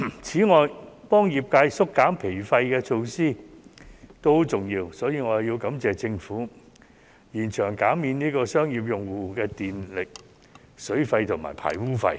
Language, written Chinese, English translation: Cantonese, 此外，幫業界縮減經營成本的措施也很重要，所以，我要感謝政府延長減免商業用戶的電費、水費和排污費。, Besides the measures which can help the sectors reduce operating costs are also very important . Therefore I would like to thank the Government for extending the measure of reducing the electricity water and sewage charges for commercial users